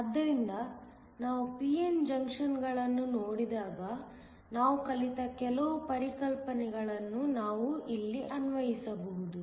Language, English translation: Kannada, So, some of the concepts that we learned when we looked at p n junctions we can apply here